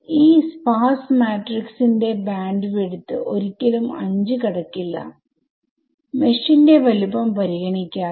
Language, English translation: Malayalam, So, the bandwidth of this sparse matrix can never exceed 5 regardless of the size of the mesh